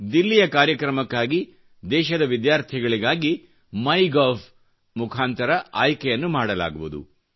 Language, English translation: Kannada, Students participating in the Delhi event will be selected through the MyGov portal